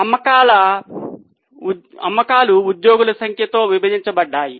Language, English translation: Telugu, Sales divided by number of employees